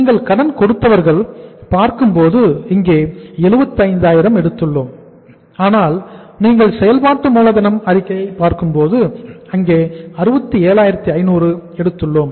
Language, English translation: Tamil, If you look at the sundry debtors I have taken here at 75,000 but if you look at the working capital statement there we have taken it at that 67,500